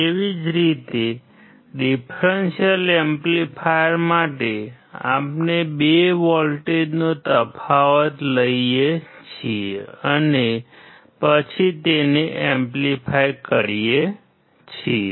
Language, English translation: Gujarati, Similarly, for differential amplifier, we take the difference of the two voltages and then amplify it